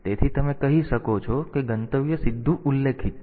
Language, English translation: Gujarati, So, you can say that destination specified directly